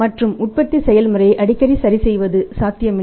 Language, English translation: Tamil, And adjusting the manufacturing process very, very frequently is not possible